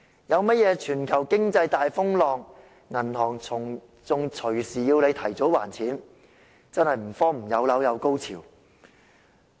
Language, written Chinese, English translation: Cantonese, 如果出現全球經濟大風浪，銀行更動輒要求提早還款，真的是所謂"有樓有高潮"。, Should a turmoil arise in the global economy the banks may even readily request early repayment . It truly means property ownership gives people orgasms